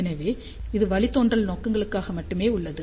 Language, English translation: Tamil, So, far it was only for the derivation purposes only